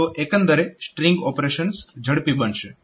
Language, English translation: Gujarati, So, overall the string operations will be made faster